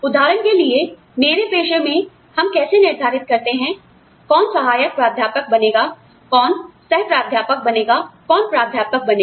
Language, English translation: Hindi, For example, in my profession, how do we decide, you know, who becomes an assistant professor, and who becomes an associate professor, and who becomes a full professor